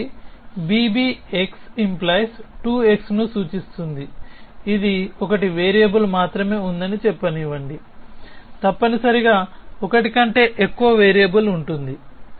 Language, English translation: Telugu, So, b b x implies 2 x which one let us say there is only 1 variable could have more than 1 variable essentially